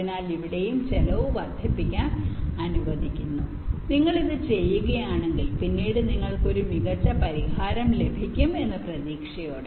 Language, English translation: Malayalam, so here, also allowing some increase in cost, with the expectation that if you do this may be later on you will get a better solution